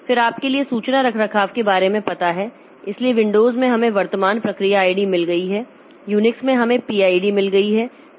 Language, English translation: Hindi, Then for information maintenance, so we have got get current process ID in Windows, we have got gate PID in Unix